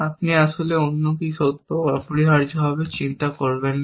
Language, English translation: Bengali, You actually, do not care what else is true, essentially